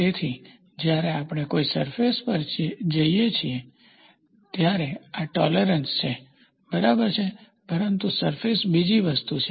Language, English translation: Gujarati, So, when we go to a surface, this is tolerance, right, but surface is another thing